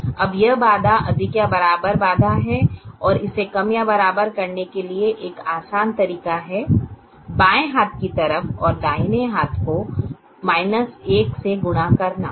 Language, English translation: Hindi, now this constraint is a greater than or equal to constraint, and an easy way to make it less than or equal to is to multiply the left hand side and a right hand side by minus one